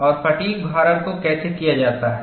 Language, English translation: Hindi, And how is the fatigue loading done